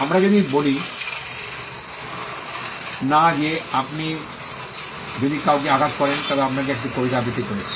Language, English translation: Bengali, We do not say that if you hurt somebody reciting a poem to you